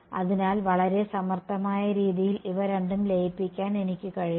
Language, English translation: Malayalam, So, I have actually manage to merge these two in a very clever way